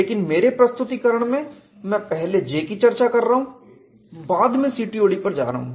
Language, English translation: Hindi, But my presentation I am discussing J first and go to CTOD